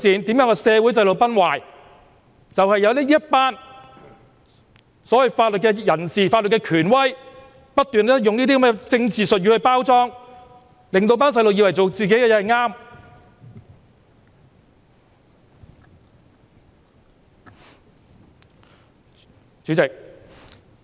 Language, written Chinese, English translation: Cantonese, 便是因為有這些所謂的法律人士、法律權威不斷用這些政治術語來作為包裝，令年輕人以為自己所做的事正確。, That is because the so - called legal professionals and legal authorities have incessantly used this kind of political jargon to fool the young people making them believe that they are doing the right thing